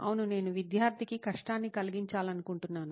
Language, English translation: Telugu, Yes, I wanted to give the student a hard time